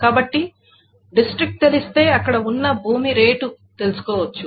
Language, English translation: Telugu, So if one knows the district, then one can know the rate of the land that is being there